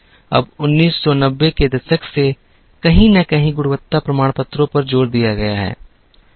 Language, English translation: Hindi, Now, somewhere since the 1990s, there has been an increasing emphasis on quality certifications